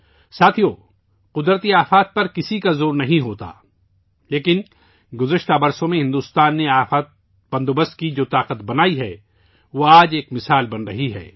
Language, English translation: Urdu, Friends, no one has any control over natural calamities, but, the strength of disaster management that India has developed over the years, is becoming an example today